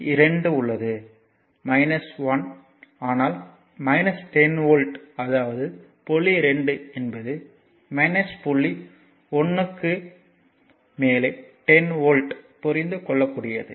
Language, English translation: Tamil, So, here it is point 2 is minus 10 volt above point 1; here it is point 1 is 10 volt above point 2 understandable right